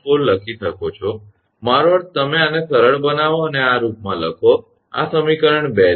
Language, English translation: Gujarati, 4, I mean you simplify and write in this form this is equation 2